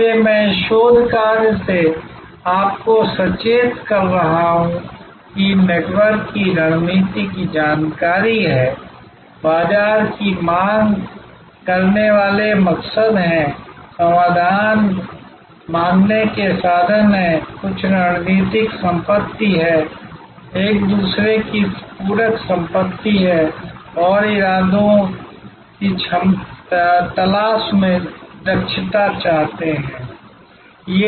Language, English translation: Hindi, So, I am alerting to you from this research work that there are information of this network strategy, there are market seeking motives, resource seeking motives, some strategic asset, complementary asset of each other seeking motives and efficiency seeking motives